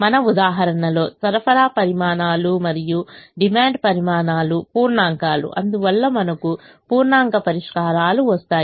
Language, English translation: Telugu, in our example, the supply quantities and the demand quantities were integers and therefore we got integer solutions